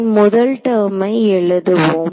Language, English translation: Tamil, So, let us write out the first term